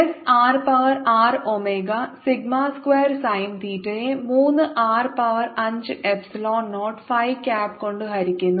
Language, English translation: Malayalam, s will be r to the power six, omega sigma square sine theta, divided by three, r to the power five, epsilon naught, phi, cap